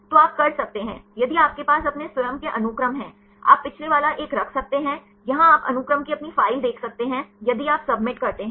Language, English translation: Hindi, So, you can if you have your own sequence; you can keep the last one; here you can see your own file of sequences then if you submit